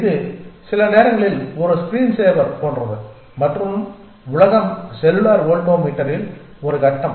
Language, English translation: Tamil, It is like a screen saver sometimes and the world is a grid in cellular voltammeter